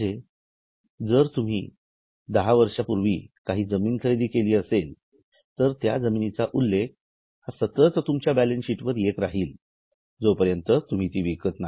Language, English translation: Marathi, So, if you purchase some land 10 years before, it will continue to appear in balance sheet today unless you have sold it